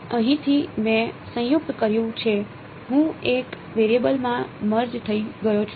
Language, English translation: Gujarati, So, now from here, I have combined I have merged into one variable